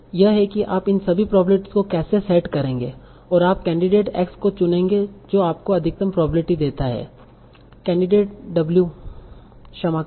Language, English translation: Hindi, That's how you will set all these probabilities, and you will choose the candidate x that gives the maximum probability